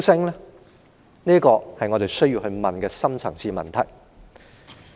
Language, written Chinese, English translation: Cantonese, 這些都是我們需要問的深層次問題。, These are the deep - rooted questions that we need to ask